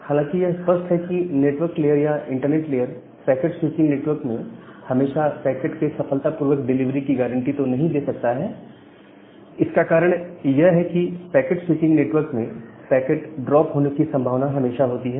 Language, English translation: Hindi, Obviously this network layer or the internet layer it doesn’t able to guarantee the successful delivery all the time in a packet switching network, because in a packet switching network, there is always a possibility of having a packet drop